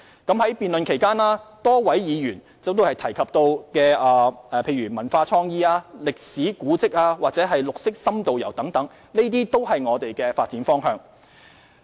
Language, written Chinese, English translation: Cantonese, 在辯論期間，多位議員提及文化創意、歷史古蹟或綠色深度遊等，這些都是我們的發展方向。, During the debate many Members mentioned culture and creativity historical monuments green and in - depth tourism and so on . All this is our development direction